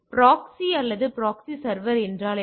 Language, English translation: Tamil, So, what is a proxy or proxy server